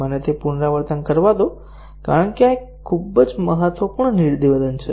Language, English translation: Gujarati, Let me repeat that because this is a very important statement